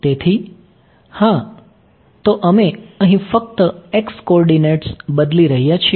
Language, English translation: Gujarati, So, yeah, so we are changing only x coordinates over here